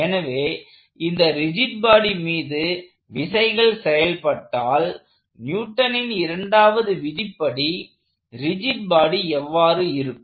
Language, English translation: Tamil, So, if I have forces acting on this rigid body, what would this law Newton's second law look like for the rigid body